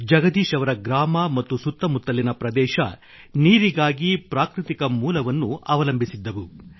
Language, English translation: Kannada, Jagdish ji's village and the adjoining area were dependent on a natural source for their water requirements